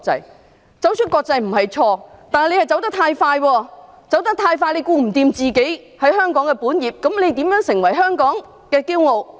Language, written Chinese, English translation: Cantonese, 要走出國際並不是錯，但港鐵公司走得太快，兼顧不到香港的本業，那它如何成為香港的驕傲？, There is nothing wrong with going global but MTRCL has gone too fast without taking proper care its regular business in Hong Kong how can it become Hong Kongs pride?